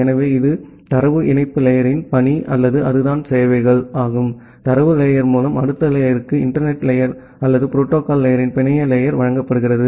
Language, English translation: Tamil, So, that is the task of the data link layer or that is the services, which is provided by the data link layer to the next layer that is the internet layer or the network layer of the protocol stack